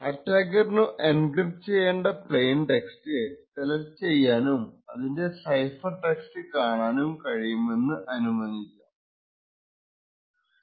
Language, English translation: Malayalam, It is also assumed that the attacker is able to control what plain text gets encrypted and is also able to view the corresponding cipher text